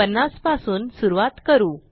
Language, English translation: Marathi, So we start with 50